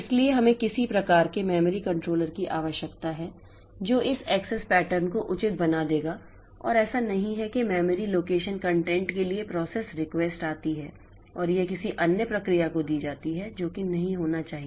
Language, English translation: Hindi, So, we need some sort of memory controller which will be making this access pattern proper and it is not that one process request for a memory location content and it is given to some other process that should not happen